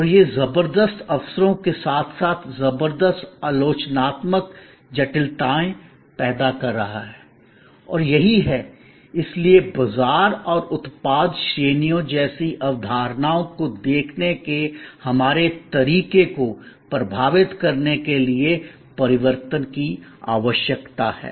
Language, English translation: Hindi, And that is creating tremendous opportunities as well as tremendous critical complexities and that is what, therefore necessitates the change to impact our way of looking at concepts like market and product categories